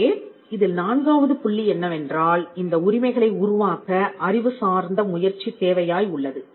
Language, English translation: Tamil, So, the fourth point is the fact that it requires an intellectual effort to create these rights